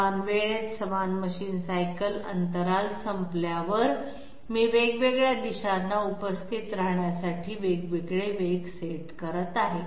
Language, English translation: Marathi, At the end of equal machine cycle intervals in time, I am setting up different velocities to attend different directions